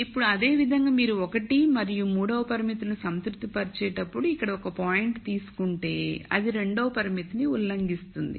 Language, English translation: Telugu, Now similarly if you take a point here while it satis es constraint 1 and 3 it will violate constraint 2